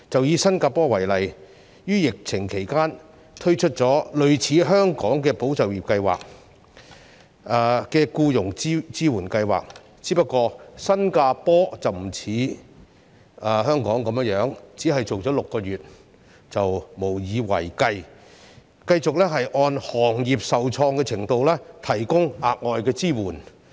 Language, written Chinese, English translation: Cantonese, 以新加坡為例，於疫情期間，推出了類似香港"保就業"計劃的僱傭支援計劃，只是新加坡不似香港般只進行6個月便無以為繼，反而繼續按行業受創的程度提供額外支援。, Take Singapore as an example . During the epidemic it has introduced the jobs support scheme similar to that of the Employment Support Scheme ESS in Hong Kong . Yet unlike Hong Kong which has merely provided such allowance for six months Singapore continues to provide additional support to various trades and industries according to the degree of impact they suffered in the epidemic